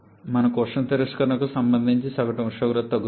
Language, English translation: Telugu, We have the average temperature corresponding to heat rejection that is decreasing